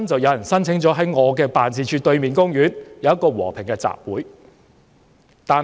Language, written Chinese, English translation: Cantonese, 有人申請在我的辦事處對面的公園，舉行一個和平集會。, Someone applied for a peaceful rally in the park opposite my office